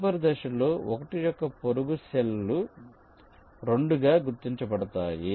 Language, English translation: Telugu, in the next step, the neighboring cells of one will be marked as two